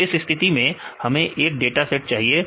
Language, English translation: Hindi, So, in this case we have to get a data set